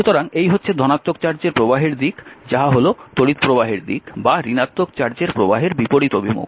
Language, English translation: Bengali, So, the way the direction of the positive flow charge is these are the direction of the current or the opposite to the directive flow of the charge